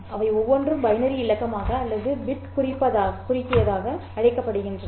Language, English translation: Tamil, Each of them is called as a binary digit or short for bit